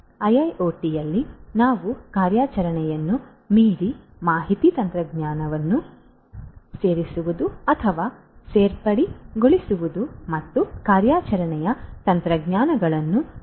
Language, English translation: Kannada, In IIoT we are talking about going beyond the operations, incorporation or inclusion of information technology and improving upon the operational technologies